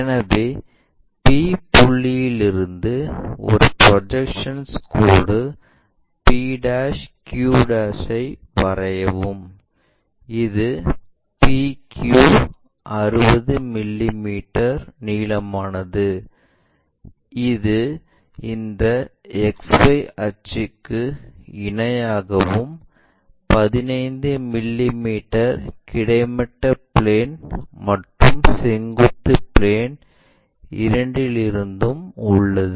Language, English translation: Tamil, So, from p point draw a projected line p' q', which is 60 mm PQ is 60 mm long, so 60 mm and it is parallel to this XY axis and 15 mm it is from both horizontal plane and vertical plane also